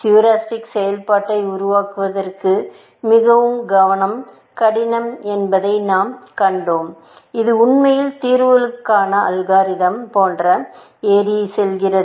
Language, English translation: Tamil, We have seen that it is very difficult to devise heuristic function, which will drive actually, climbing like, algorithms to solutions